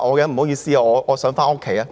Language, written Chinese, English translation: Cantonese, 不好意思，我想回家。, I am sorry I want to go home